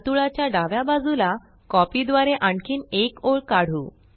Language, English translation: Marathi, Let us draw another line, to the left of the circle by copying